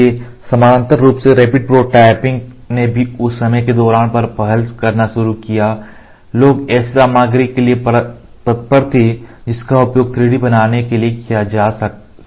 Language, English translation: Hindi, So, parallelly rapid prototyping also started initiating during that time, rapid prototyping people were looking forward for material which could be used for 3D making